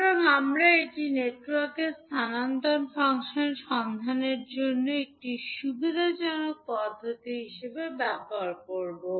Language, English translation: Bengali, So, we will use this as a convenient method for finding out the transfer function of the network